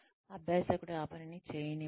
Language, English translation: Telugu, Let the learner do the job